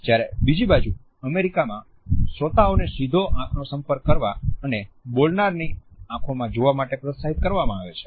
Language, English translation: Gujarati, On the other hand in the USA listeners are encouraged to have a direct eye contact and to gaze into the speakers eyes